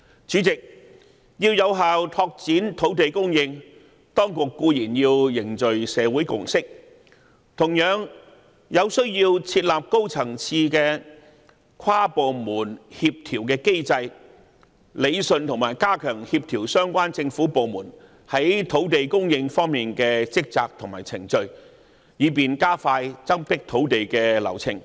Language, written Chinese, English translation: Cantonese, 主席，要有效拓展土地供應，當局固然要凝聚社會共識，同時需要設立高層次跨部門協調機制，理順和加強協調相關政府部門在土地供應方面的職責和程序，以便加快增闢土地的流程。, President to effectively expand land supply the authorities certainly should foster a consensus in society . At the same time it needs to set up a high - level inter - departmental coordination mechanism to rationalize and strengthen the coordination of the duties and procedures of the relevant government departments in respect of land supply with a view to expediting the process of increasing land supply